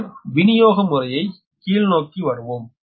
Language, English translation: Tamil, then we will come to downstream, the distribution system